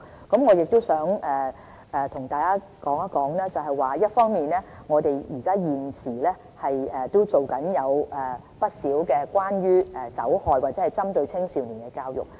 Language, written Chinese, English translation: Cantonese, 我亦想和大家談談，一方面，我們現時正進行不少關於酒害或青少年的教育。, I wish to tell that we are currently working on a range of education exercises concerning the effects of alcohol consumption or young people